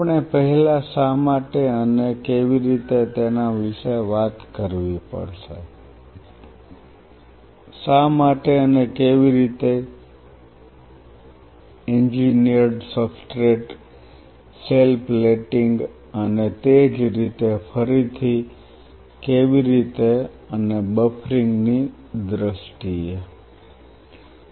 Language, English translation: Gujarati, We have to talk about the first the concept of why and how; why and how for engineered substrate cell plating rules how again how and why similarly how and why in terms of the buffering